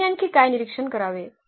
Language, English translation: Marathi, What else we have to observe